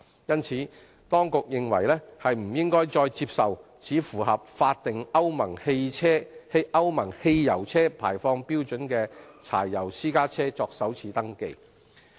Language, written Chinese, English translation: Cantonese, 因此，當局認為不應再接受只符合法定歐盟汽油車排放標準的柴油私家車作首次登記。, For this reason the Administration is of the view that it should no longer accept first - time registration of diesel private cars only meeting the Euro petrol car emission standards